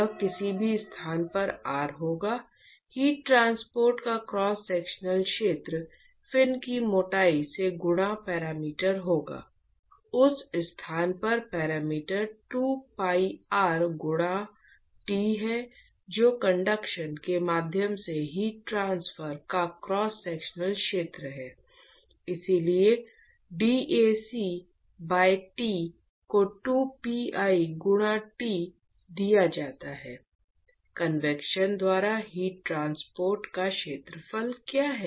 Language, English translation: Hindi, It will be at any location R the cross sectional area of heat transport will be the perimeter multiplied by the thickness of the fin, to the perimeter at that location is 2 pi r multiplied by t that is the cross sectional area of heat transport via conduction therefore, dAc by Tr is given by 2 pi into t, what is the area of heat transport via convection